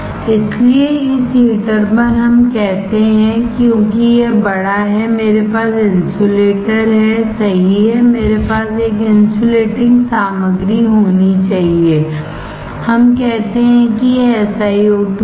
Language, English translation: Hindi, So, on this heater let us say because it is bigger I have to have an insulator right, I have to have an insulating material let us say this is SiO2